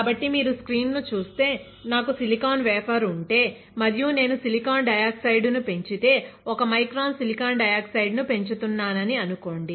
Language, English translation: Telugu, So, if you see the screen the, if I have silicon wafer right and if I grow silicon dioxide; let us say I am growing 1 micron of silicon dioxide